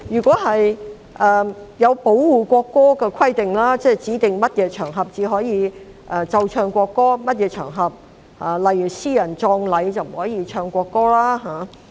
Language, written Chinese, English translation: Cantonese, 在保護國歌的規定方面，《條例草案》指定在哪些場合才可奏唱國歌，而一些場合——例如私人葬禮——便不能奏唱國歌。, As far as the regulations regarding protection of the national anthem are concerned the Bill specifies the occasions on which the national anthem can be played and sung and those on which the national anthem cannot be played and sung such as private funeral events